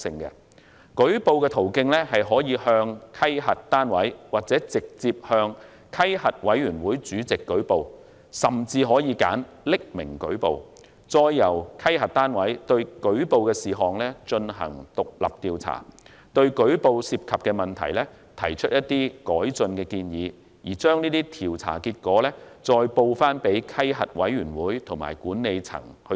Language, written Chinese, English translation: Cantonese, 員工可以向稽核單位或直接向稽核委員會主席舉報，甚至可以選擇匿名舉報，再由稽核單位對舉報的事項進行獨立調查，對舉報涉及的問題提出改進建議，並將調查結果向稽核委員會及管理層報告。, Staff can report to the auditing unit or to the chairman of the audit committee directly . Alternatively they can even choose to report anonymously and let the audit unit conduct independent investigation into the reported incident and make recommendation with regard to the issues involved in addition to reporting the investigation results to the audit committee and to the management